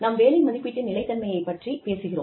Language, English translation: Tamil, Then, we talk about, consistency of job evaluation